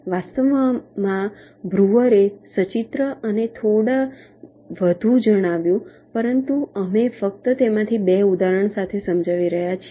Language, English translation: Gujarati, in fact, breuer illustrated and stated a few more, but we are just illustrating two of them with example so that you know exactly what is being done